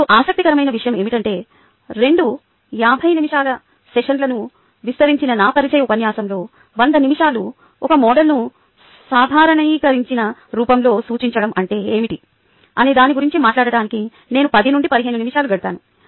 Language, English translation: Telugu, now what is interesting is that in my ah introduction lecture, which spanned the two fifty minute ah sessions, so a hundred minutes, i spent about ten to fifteen minutes on talking about what is the meaning of representing a model in a normalized form